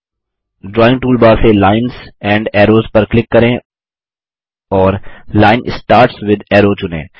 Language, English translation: Hindi, From the Drawing toolbar gtgt click on Lines and Arrows and select Line Starts with Arrow